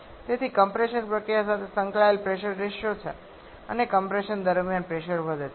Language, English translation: Gujarati, So, there is a pressure ratio at the associate with the compression process and as pressure increases during compression